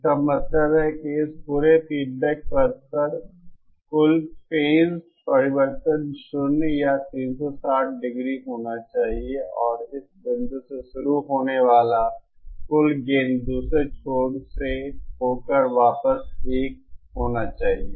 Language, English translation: Hindi, It means that the total phase change over this entire feedback path should be zero or 360 degree and the total gain starting from this point all the way to through the other end then back should be 1